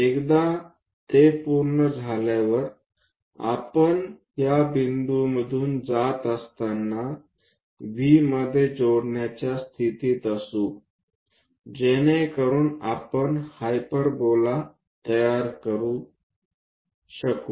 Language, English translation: Marathi, Once it is done, we will be in a position to join V all the way passing through this point, so that a hyperbola we will be in a position to construct